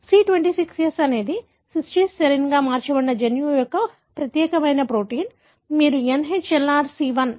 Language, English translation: Telugu, That is C26S that is cysteine mutated to serinein this particular protein of the gene, which you call as NHLRC1